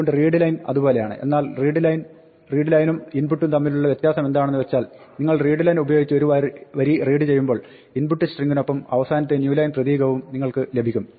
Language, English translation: Malayalam, So, readline is like that, but the difference between the readline and input is that, when you read a line you get the last new line character along with the input string